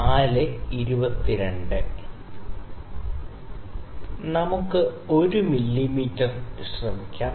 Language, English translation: Malayalam, So, let us try 1 mm